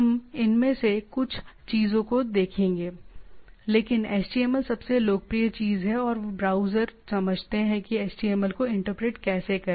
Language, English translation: Hindi, There are different other markup languages we’ll see some of these things, but HTML is the most popular things and the browser any browser understand how to interpret the HTML